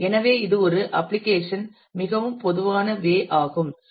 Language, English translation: Tamil, So, this is the most common way an application is